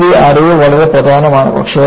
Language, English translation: Malayalam, The knowledge, what you gained is very important